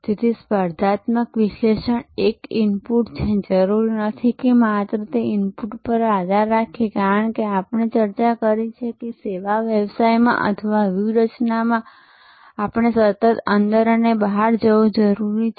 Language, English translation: Gujarati, And after this is done one will have to choose… So, competitive analysis is an input, not necessarily only depending on that input as we discussed that in service businesses or in strategy we need to constantly go inside out and outside in